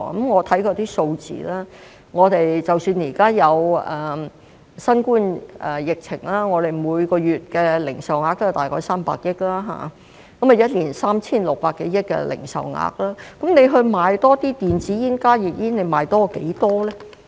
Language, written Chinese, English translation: Cantonese, 我看過相關數字，即使現在有新冠疫情，我們每月的零售額大概也是300億元，一年便是 3,600 多億元，那麼如果說要賣多些電子煙和加熱煙，要多賣多少呢？, I have looked through the relevant figures . Despite the coronavirus pandemic our monthly retail sales volume is about 30 billion which translates to more than 360 billion a year . In this case if we want to sell more e - cigarettes and HTPs how many more do we want to sell?